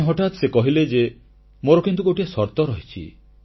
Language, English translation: Odia, But then he suddenly said that he had one condition